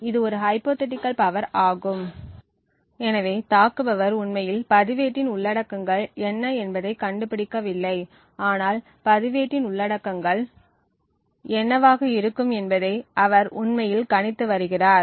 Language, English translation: Tamil, So, note that this is a hypothetical power consumed so the attacker is not actually finding out what the contents of the register is but he is just actually predicting what the contents of the register may be